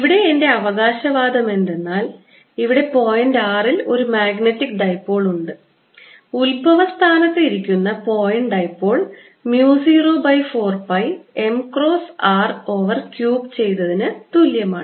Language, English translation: Malayalam, ok, and my claim here is let me give a trial here that a at point r for a magnetic dipole, point dipole sitting at the origin, is equal to mu naught over four pi m cross r over r cubed